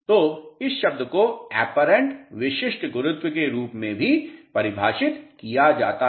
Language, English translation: Hindi, So, this term is also defined as apparent specific gravity